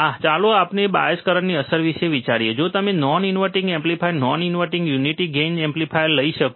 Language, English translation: Gujarati, Ah so, let us consider the effect of bias currents, if you could take a non inverting amplifier, non inverting unity gain amplifier